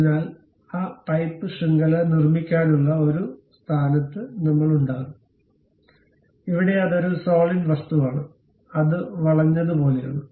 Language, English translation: Malayalam, So, we will be in a position to construct that pipe network; here it is a solid object it is more like a bent